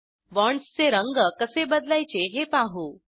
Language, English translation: Marathi, Lets see how to change the color of bonds